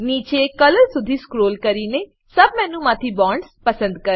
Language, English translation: Gujarati, Scroll down to Color, select Bonds from the sub menu